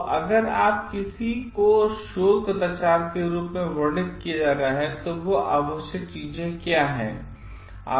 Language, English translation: Hindi, So, if something is to being described as a research misconduct, then what are the required things